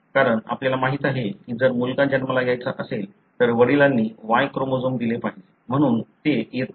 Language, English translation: Marathi, Because, you know if son has to be born, then father should have given the Y chromosome, so it doesn’t come